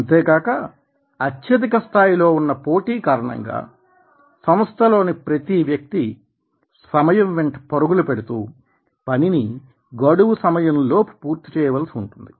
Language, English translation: Telugu, and there is also high rate of competitions and in organizations everybody has to chase the time and complete the work and meet the dead line